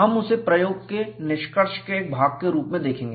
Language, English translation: Hindi, We would see that as part of the experimental result